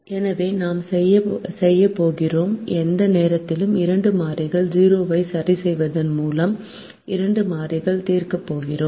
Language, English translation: Tamil, so what we are going to do is: at any point we are going to solve for two variables by fixing two other variables to zero